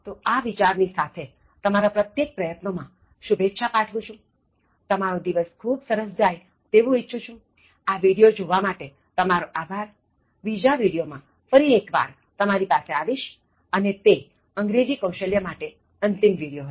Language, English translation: Gujarati, So, with this thought, let me wish you all the best in all your endeavors, wishing you a very wonderful day and thank you so much for watching this video, let me get back to you in the next one and that will be the last one in terms of English Skills